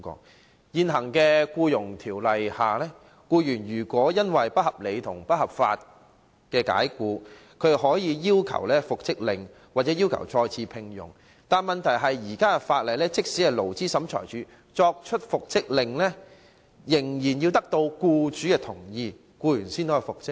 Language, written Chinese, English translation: Cantonese, 在現行《僱傭條例》下，僱員如被不合理及不合法解僱，可要求復職或再次聘用，但問題是即使勞資審裁處頒布復職令，仍要獲得僱主同意，僱員才可復職。, Under the existing Employment Ordinance an employee who has been unreasonably and unlawfully dismissed may seek reinstatement or re - engagement but the problem is that the Labour Tribunal needs to first secure the employers agreement before making an order for reinstatement